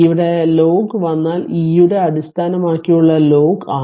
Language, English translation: Malayalam, So, here you are here it is given ln means it is log of base e